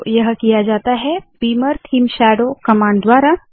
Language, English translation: Hindi, So this is done by the command – beamer theme shadow